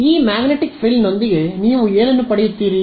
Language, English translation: Kannada, What do you get with this magnetic frill